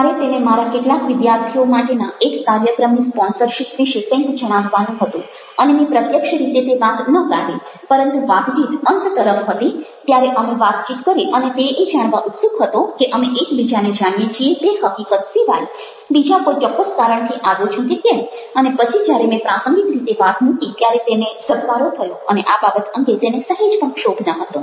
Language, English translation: Gujarati, i have to share with him something related to this sponsorship of an event for some of my students, and i did not raise it directly, but when, towards the end of the conversation, we had a conversation and he was curious to know if i had come for specific reason other than the fact that we knew one another, and when i put it casually, it kind of clicked and he had absolutely no hesitation about it